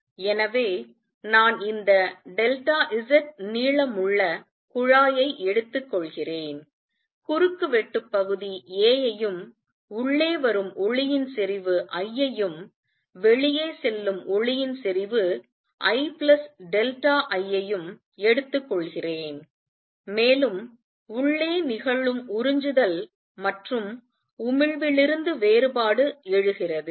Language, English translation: Tamil, So, I am taking this tube of length delta Z cross sectional area a and light of intensity I is coming in and light of intensity I plus delta I goes out, and the difference arises from the absorption and emission taking place inside